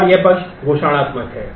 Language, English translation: Hindi, And this side is declarative